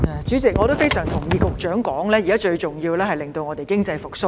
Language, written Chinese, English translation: Cantonese, 主席，我非常同意局長的說法，現在最重要是令本港經濟復蘇。, President I totally concur with the Secretary that the most important task right now is to revive local economy